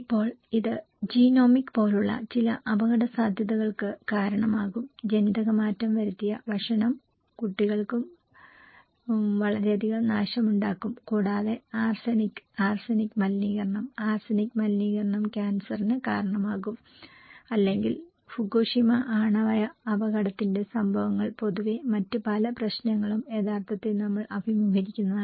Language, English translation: Malayalam, Now, it can cause some kind of risk like genomic, genetically modified food can cause a lot of damage to the children, kids and also arsenic can contaminate, arsenic contamination can cause cancer or we can have flood in fact, of events of Fukushima a nuclear accident or other many problems we are facing